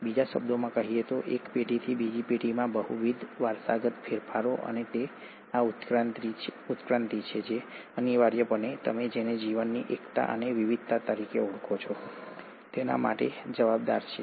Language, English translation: Gujarati, In other words, multiple heritable modifications from one generation to the next, and it is this evolution which essentially accounts for what you call as the unity and the diversity of life